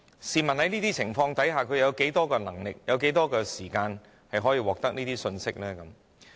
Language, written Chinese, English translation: Cantonese, 試問在這些情況下，他們有多少能力及有多少時間可以獲得這些信息呢？, Under such circumstances how far do they have the ability and the time to obtain such information?